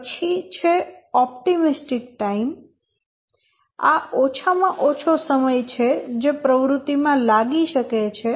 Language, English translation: Gujarati, The optimistic time, this is the shortest possible time which the task the activity can take